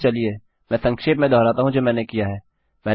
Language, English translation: Hindi, So, let me recap what Ive done